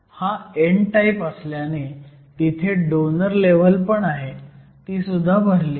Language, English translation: Marathi, And you also have a donor level, because it is n type which is also full